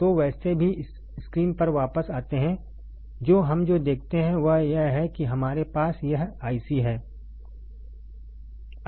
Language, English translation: Hindi, So, anyway coming back to the screen what we see is that we have this IC